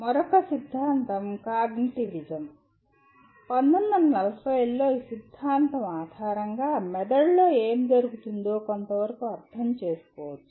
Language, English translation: Telugu, Then another theory is “cognitivism”, where around 1940s there is a some amount of understanding what is happening in the brain